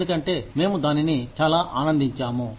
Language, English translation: Telugu, Because, we enjoy it, so much